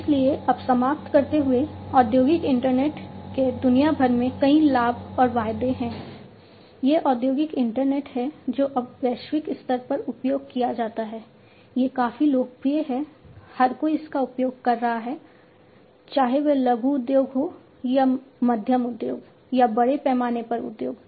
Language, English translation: Hindi, So, now to conclude industrial internet has many benefits and promises across the globe, it is industrial internet is now globally used it is quite popular, everybody is using it whether it is a small scale industry or a medium scale industry, or a large scale industry